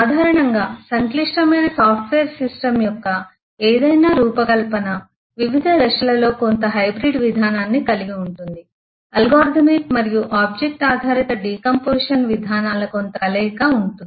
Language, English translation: Telugu, In general any design of a complex eh software system will at different stages have a some bit of hybrid approach, some bit of combination between the algorithmic as well as the object oriented decomposition approaches